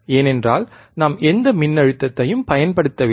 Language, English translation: Tamil, , bBecause we are not applying any voltage,